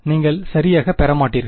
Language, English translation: Tamil, You will not get right